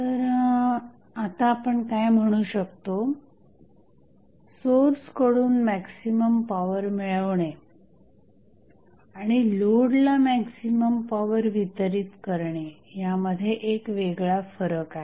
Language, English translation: Marathi, So, what we can say now, that, there is a distinct difference between drawing maximum power from the source and delivering maximum power to the load